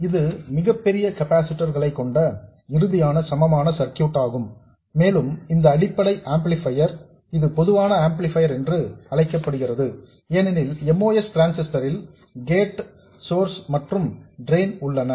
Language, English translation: Tamil, This is the final equivalent circuit assuming large capacitors and this basic amplifier this is known as a common source amplifier because the most transistor has gate, source and drain and the input is applied to these two points